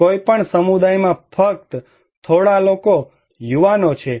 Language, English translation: Gujarati, There are only few people, young people in any community